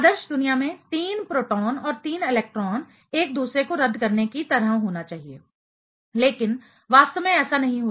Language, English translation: Hindi, In an ideal world, 3 proton and 3 electron should be kind of cancelling each other, but in reality that does not happen